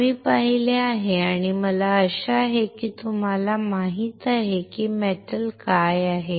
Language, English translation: Marathi, We have seen and I hope that you know that what are metals